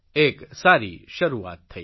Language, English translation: Gujarati, This is a good beginning